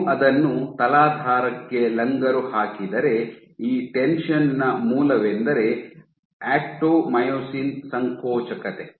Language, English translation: Kannada, If you anchor it to the substrate the source of this tension is actomyosin contractility